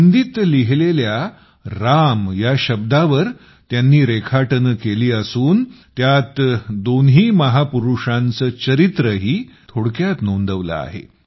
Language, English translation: Marathi, On the word 'Ram' written in Hindi, a brief biography of both the great men has been inscribed